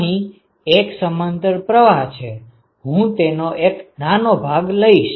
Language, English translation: Gujarati, So, here is the parallel flow, I take a small element